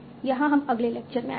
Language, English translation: Hindi, So we'll come to that in the next lecture